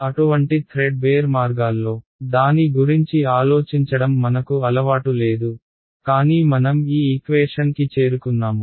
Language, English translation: Telugu, We are not used to thinking about it in such threadbare means, but that is how we arrived at this equation right